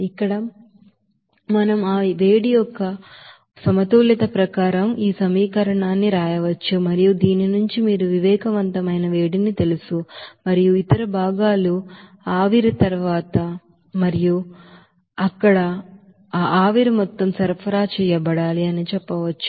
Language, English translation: Telugu, So here we can say as per that balance of that heat we can write simply this equation and from which after substitution of this you know sensible heat and also you can say that other components they and then you can get what should be the amount of steam is supplied to that evaporator there